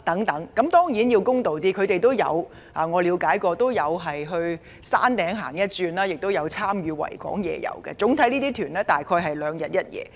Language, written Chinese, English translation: Cantonese, 當然，我要公道一點，我了解他們也會到山頂逛逛，亦有參加維港夜遊，而這些旅行團主要在港逗留兩日一夜。, That said in all fairness I know that these visitors would also tour the Peak and join the Victoria Harbour night cruise . And these tour groups very often stay at Hong Kong for two days and one night